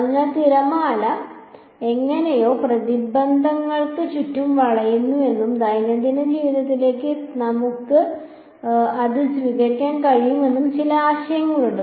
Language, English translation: Malayalam, So, there is some idea that the wave is somehow bending around obstacles and we are able to receive it this is in day to day life